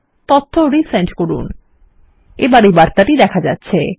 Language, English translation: Bengali, Resend the data and we get this error message